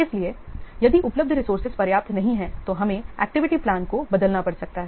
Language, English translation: Hindi, So, if the available resources are not sufficient enough, then we might have to change the activity plan